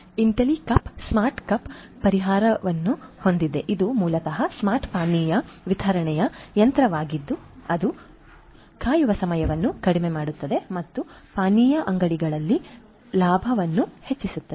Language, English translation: Kannada, Intellicup has the smart cups solution which basically is a smart beverage vending machine which reduces the waiting time and increases the profit at the beverage shops